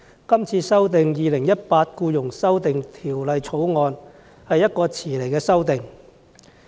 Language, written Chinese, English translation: Cantonese, 代理主席，《2018年僱傭條例草案》是遲來的修訂。, Deputy President the amendments introduced under the Employment Amendment Bill 2018 the Bill have been long - overdue